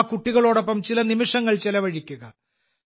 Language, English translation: Malayalam, And spend some moments with those children